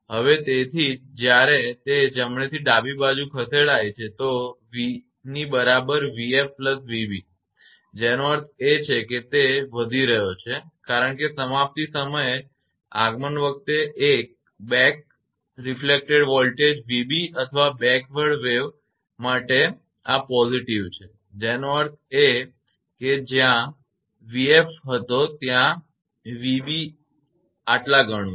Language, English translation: Gujarati, So, that is why when it is right to left it is moving v is equal to v b v f plus v b that means, it is increasing right, because on arrival at termination the back reflected voltage of v b or for backward wave this is positive that means, whatever v f was there then v b is this much